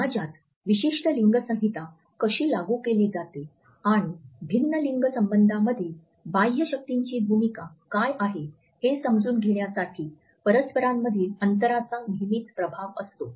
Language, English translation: Marathi, Space is always influenced by our understanding of how a particular gender code has to be enacted in a society and also what is the role of power relationships within and outside different gendered relationships